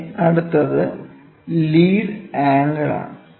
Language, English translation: Malayalam, Then, lead angle